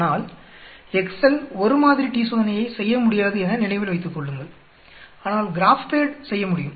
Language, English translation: Tamil, But remember Excel cannot do a one sample t Test, whereas a GraphPad can do